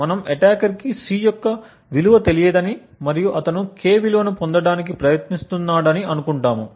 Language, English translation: Telugu, So, the output of F is C, we assume that the attacker does not know the value of C and he is trying to obtain the value of K